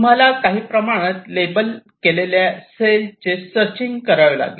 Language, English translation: Marathi, you have to do some kind of searching of this cells which you have labeled